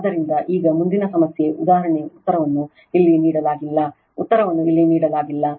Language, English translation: Kannada, So, now, next problem is example answer is not given here answer is not given here